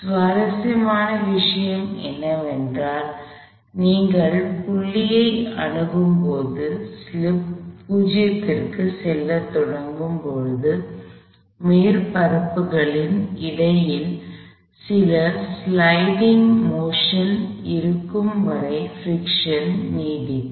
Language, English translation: Tamil, What is interesting is that as you approach the point, where slip is beginning go to 0, a friction is persist long as there is some sliding motion between the surfaces